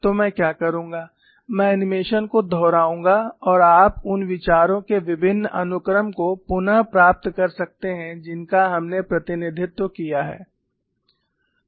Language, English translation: Hindi, So, what I would do is, I would repeat the animation and you can recapture the various sequence of ideas that we have represented